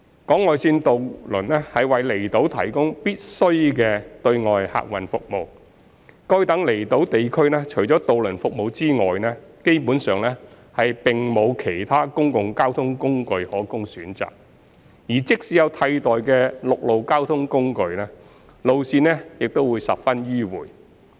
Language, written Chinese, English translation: Cantonese, 港外線渡輪為離島提供必需的對外客運服務。該等離島地區除了渡輪服務外，基本上並無其他公共交通工具可供選擇，而即使有替代的陸路交通工具，路線也十分迂迴。, Outlying island ferries provide essential external transportation for outlying islands where there is basically no alternative to the ferry services available as a means of public transport or the alternative land transport route if any is very circuitous